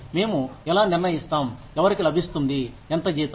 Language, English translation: Telugu, How do we decide, who gets, how much salary